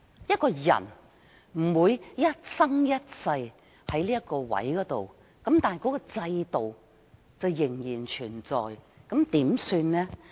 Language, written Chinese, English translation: Cantonese, 一個人不會一生一世留在同一崗位，但制度卻仍然存在，怎麼辦？, What can we do since no one can stay in the same post all his life but the system can be kept intact?